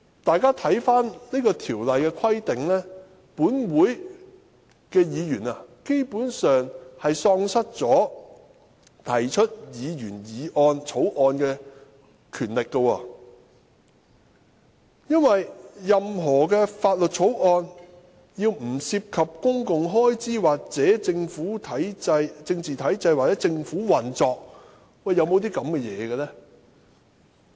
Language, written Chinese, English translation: Cantonese, "大家看看這條的規定，便知本會議員基本上並無提出議員法案的權力，因為任何法案均須"不涉及公共開支或政治體制或政府運作"，有這樣的法案嗎？, If we take a look at the provisions of this Article we know that Members of this Council basically have no power to introduce Members bills as any bills must not relate to public expenditure or political structure or the operation of the government . Are there any such bills?